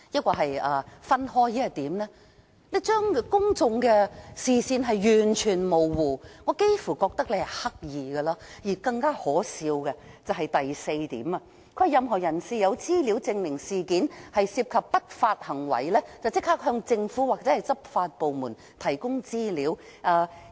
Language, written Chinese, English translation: Cantonese, 港鐵公司將公眾的視線完全模糊，我幾乎覺得這是刻意的，而更可笑的是聲明的第四點，"若任何人士有資料證明事件涉及不法行為，應立即向政府或執法部門提供資料。, MTRCL has given the public very confusing ideas and I tend to believe that it has deliberately done so . Point 4 of the statement is even more ridiculous ie . anyone with information that proves that illegal activities are involved in the incident should immediately provide the information to the Government or law enforcement agencies